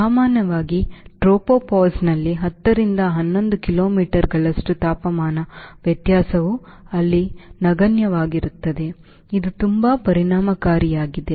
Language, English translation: Kannada, i had tropopause ten to eleven kilometers, where temperature variance is almost negligible there